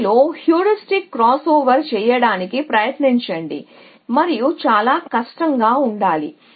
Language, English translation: Telugu, Try to do that heuristic crossover with this and should be quite difficult is an essentially